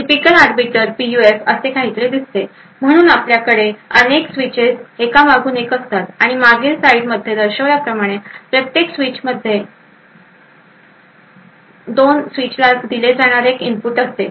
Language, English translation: Marathi, A typical Arbiter PUF looks something like this, so we have actually multiple such switches present one after the other and a single input which is fed to both switches to each switch as shown in the previous slide